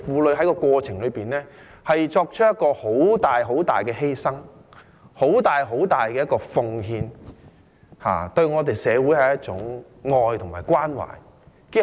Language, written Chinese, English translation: Cantonese, 在這個過程中，婦女作出很大、很大的犧牲，很大、很大的奉獻，對社會是一種愛和關懷。, During this process women have to make extraordinary sacrifices and contributions which is a kind of love and care to society